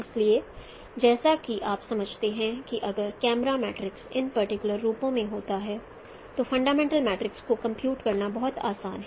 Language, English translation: Hindi, So as you understand, if you know the camera matrices in this particular forms, then it is very easy to compute the fundamental matrix